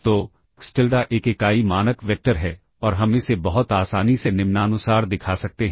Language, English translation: Hindi, So, xTilda is a unit norm vector and we can simply show that very easily as follows